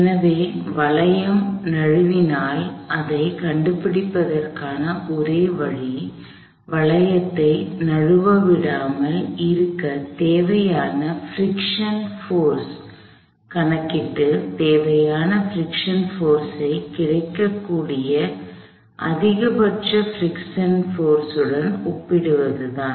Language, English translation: Tamil, The only way to find, if a hoop slips is to calculate the friction force necessary to keep the hoop from slipping, and then compare that necessary friction force to the maximum possible friction force that is available